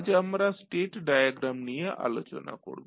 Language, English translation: Bengali, Today we will discuss about the state diagram and before going to the state diagram